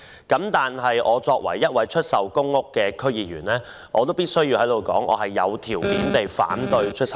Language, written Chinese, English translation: Cantonese, 但作為一位區議員，我必須在此表示，我有條件地反對出售公屋。, As a District Council member I must state here that I conditionally oppose the sale of PRH units